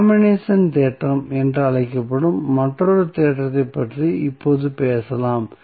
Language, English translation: Tamil, Now, let us talk about another theorem, which is called as a compensation theorem